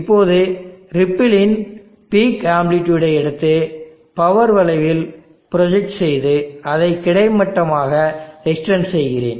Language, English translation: Tamil, Now let me take the peak amplitude of the ripple projected on to the power curve and then extended on to the horizontal